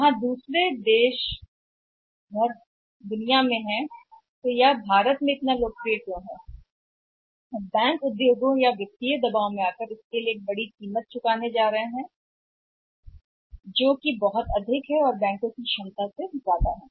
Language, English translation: Hindi, Where the other countries are in the debt world so why it is so popular in India and banks are going to pay big price or under a pressure from the industry or maybe the financial pressure is is is is too much which is now going beyond the capacity of the bank